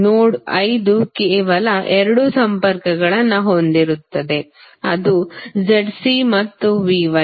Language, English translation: Kannada, Node 5 will have only two connections that is Z C and V Y